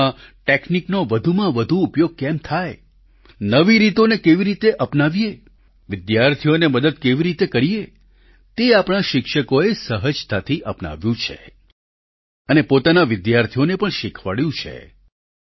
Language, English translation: Gujarati, Ways to incorporate more and more technology in studying, ways to imbibe newer tools, ways to help students have been seamlessly embraced by our teachers… they have passed it on to their students as well